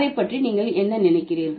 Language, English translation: Tamil, What do you think about it